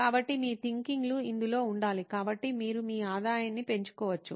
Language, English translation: Telugu, So your ideas have to be in this so that you can increase your revenue